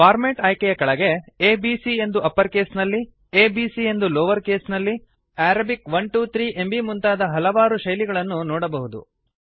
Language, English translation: Kannada, Under the Format option, you see many formats like A B C in uppercase, a b c in lowercase, Arabic 1 2 3 and many more